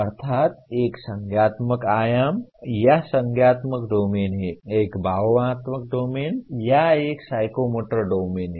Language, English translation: Hindi, Namely, there is a cognitive dimension or cognitive domain, there is affective domain, or a psychomotor domain